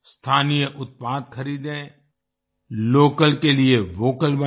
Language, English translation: Hindi, Buy local products, be Vocal for Local